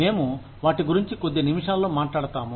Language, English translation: Telugu, We will talk about them, in just a few minutes